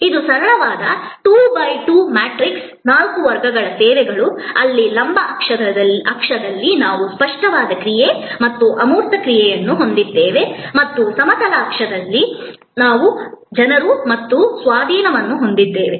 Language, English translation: Kannada, This is a simple 2 by 2 matrix, four categories of services, on the vertical axis here we have tangible action and intangible action and on the horizontal axis, we have people and possession